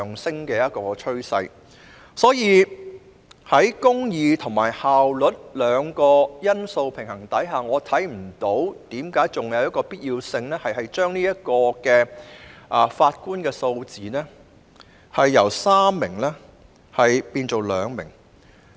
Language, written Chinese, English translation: Cantonese, 所以，在公義和效率兩項因素的平衡下，我看不到還有何必要把上訴法庭法官的數字由3名修改至2名。, Therefore in view of the efforts to strike a balance between the two factors of efficiency and justice I fail to see the reason why the number of Justices of Appeal has to be amended from three to two